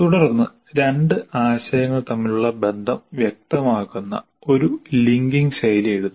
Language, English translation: Malayalam, You write a linking phrase specifying the relationship between the two concepts